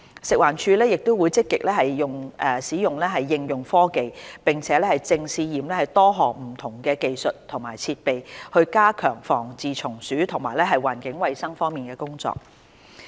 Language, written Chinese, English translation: Cantonese, 食物環境衞生署會積極應用科技，並正試驗多項不同技術及設備，加強防治蟲鼠及環境衞生方面的工作。, The Food and Environmental Hygiene Department FEHD will actively pursue the application of technologies and has been introducing technologies and equipment for trial use so as to strengthen its work on pest control and environmental hygiene